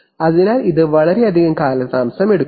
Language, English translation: Malayalam, So it takes a lot of delay this is the reason why